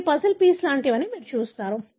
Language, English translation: Telugu, You see that these are like the puzzle piece